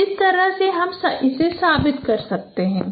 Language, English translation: Hindi, So in this way you can prove